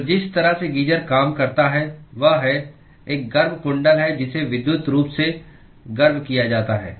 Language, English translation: Hindi, So the way geyser works is there is a heating coil which is electrically heated